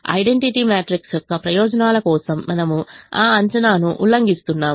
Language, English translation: Telugu, we are violating that assumption in the interests of the identity matrix